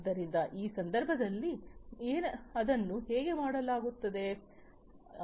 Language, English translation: Kannada, So, how it is done in this case